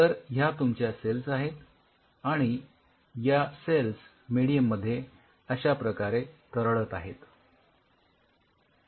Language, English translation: Marathi, So, here you have the cells and cells are suspended in a medium like this